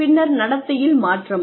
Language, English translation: Tamil, Then, change in behavior